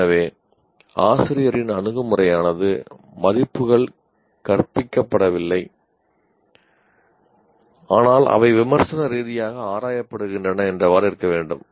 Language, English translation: Tamil, So, teachers attitude should be that values are not taught but they are critically examined